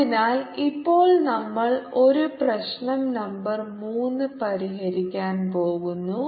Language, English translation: Malayalam, so now we are going to solve a problem, number three